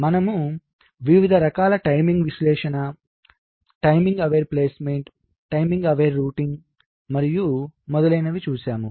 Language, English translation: Telugu, so we looked at the various kinds of timing analysis: timing aware placement, timing aware routing and so on